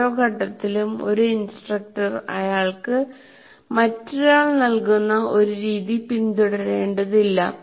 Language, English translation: Malayalam, And at every stage an instructor doesn't have to follow a method that is given to him by someone